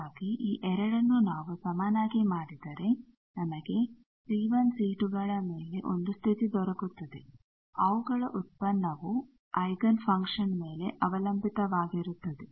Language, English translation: Kannada, So, this 2 if we made equal then we get 1 condition on c 1, c 2 as shown that their product is certain things depending on the eigenfunction